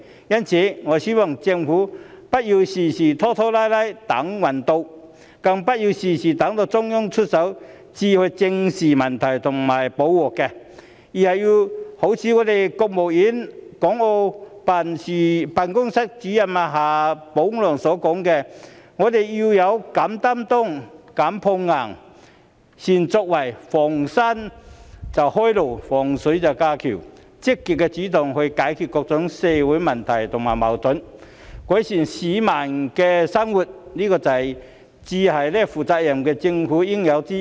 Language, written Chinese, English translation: Cantonese, 因此，我希望政府不要事事拖拖拉拉或"等運到"，更不要事事等到中央出手才去正視問題和補救錯失；而是要一如國務院港澳事務辦公室主任夏寶龍所說，我們要"勇擔當、敢碰硬、善作為，逢山能開路、遇水能架橋"，積極主動地去解決各種社會問題和矛盾，改善市民的生活，這才是負責任政府的應有之義。, For this reason I hope that the Government instead of procrastinating or waiting for its ship to come in or even waiting for the Central Government to take action on everything before it faces up to the problems and finds the remedial measures for its mistakes will do what the State Councils Hong Kong and Macao Affairs Office director XIA Baolong has said and that is we must be willing to shoulder responsibilities unafraid of taking on tough challenges capable of making achievements open roads when encountering mountains build bridges when encountering water . What a responsible government should do is to take the initiative to solve various social problems and conflicts and to improve the lives of its people